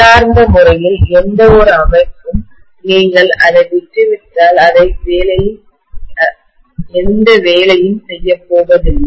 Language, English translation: Tamil, And intrinsically, any system is not going to be doing any work if you leave it to itself